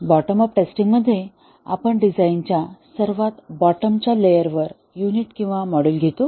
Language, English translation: Marathi, In bottom up testing, we take up the unit or the module at the bottom most layer of the design